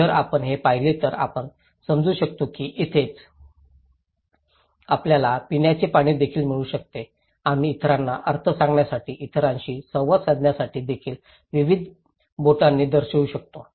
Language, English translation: Marathi, If you see this one, you can understand that this is where you can get drinking water also, we can show various fingers too to tell the meaning to others, communicate with others